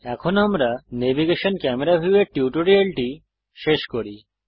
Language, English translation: Bengali, So this wraps up our tutorial on Navigation Camera View